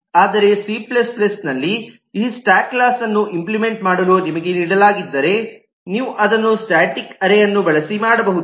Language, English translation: Kannada, But if you are given to implement this stack class in c plus plus, you could do that using a static array